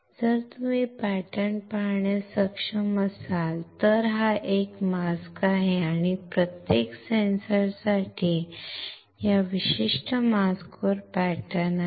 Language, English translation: Marathi, So, if you are able to see the pattern, then this is a mask and there are patterns on this particular mask for each sensor